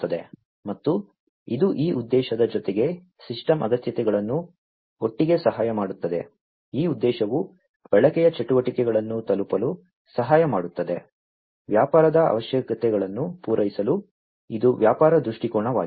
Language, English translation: Kannada, And this will also help these system requirements together with this objective the system requirement together, with this objective will help in arriving at the usage activities, for meeting the business requirements so, this is the business viewpoint